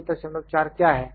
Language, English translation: Hindi, What is 5